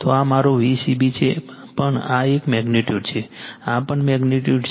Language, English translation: Gujarati, So, this is my V c b, but this is a magnitude this is also magnitude